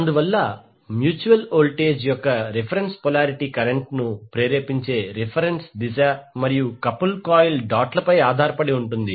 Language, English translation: Telugu, Thus the reference polarity of the mutual voltage depends upon the reference direction of inducing current and the dots on the couple coil